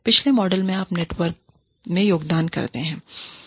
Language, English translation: Hindi, In the previous model, you contribute to the network